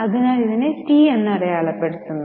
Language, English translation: Malayalam, So, right now I am putting it as T